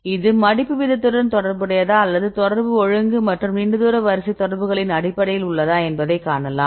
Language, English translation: Tamil, So, then we see whether it can be related with the folding rate or we can do because contact order and long range order based on contacts